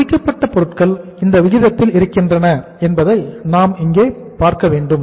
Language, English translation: Tamil, We will have to see that and finished goods are here, ratio of this